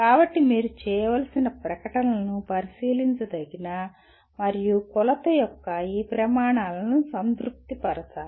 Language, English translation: Telugu, So the statements that you have to make should satisfy this criteria of observability and measurability